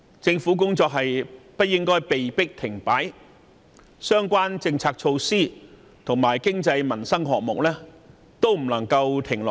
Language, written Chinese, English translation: Cantonese, 政府的工作不應被迫停擺，相關政策措施及經濟民生項目亦不能停下來。, The Government should neither stall its work nor put a halt to its policy and socio - economic initiatives